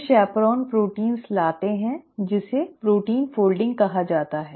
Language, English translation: Hindi, So, chaperone proteins bring about what is called as protein folding